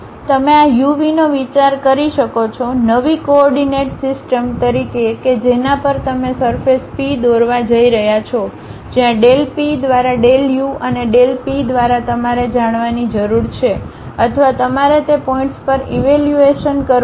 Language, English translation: Gujarati, You can think of this u, v as the new coordinate system on which you are going to draw a surface P where del P by del u and del P by del v you need to know or you have to evaluate at that points